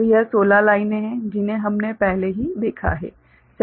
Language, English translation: Hindi, So, you have got 16 lines generated